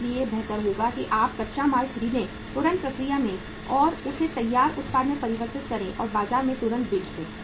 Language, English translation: Hindi, So it is better that you purchase the raw material, process that immediately and convert that into a finished product and sell it immediately in the market